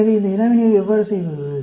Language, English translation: Tamil, So, how to do this problem